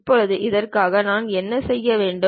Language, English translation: Tamil, Now, for that what I have to do